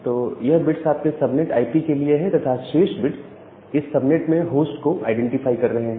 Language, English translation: Hindi, So, this bits are for your subnet IP, and the remaining bits are identifying the host inside that particular subnet